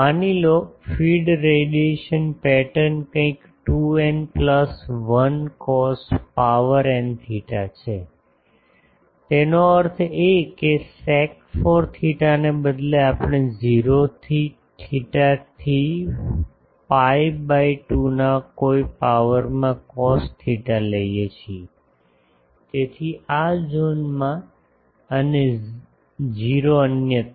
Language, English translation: Gujarati, Suppose, the feed radiation pattern is something like 2 n plus 1 cos n theta; that means, instead of sec 4 theta we take cos theta some power for 0 to theta to phi by 2, so, in this zone and 0 elsewhere